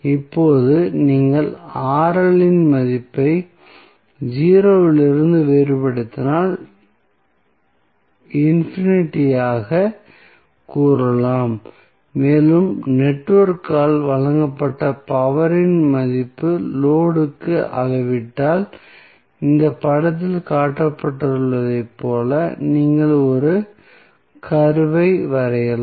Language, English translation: Tamil, So, now, if you vary the value of Rl from 0 to say infinite and you measure the value of power supplied by the network to the load then you can draw a curve which will look like as shown in this figure